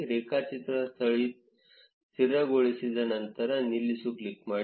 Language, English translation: Kannada, When the graph seems stabilized, click on stop